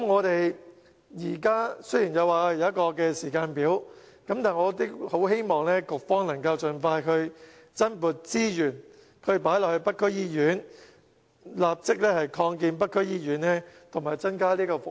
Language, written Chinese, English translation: Cantonese, 雖然政府現在有一個時間表，但我希望局方能盡快增撥資源投入北區醫院，立即擴建北區醫院及增加服務。, Though the Government has a timetable in place I hope the Bureau can expeditiously deploy more resources for the North District Hospital in order to expand its premises and strengthen its service